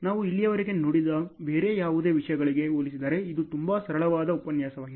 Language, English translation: Kannada, This is a very simple lecture compared to any other any other topic we have seen so far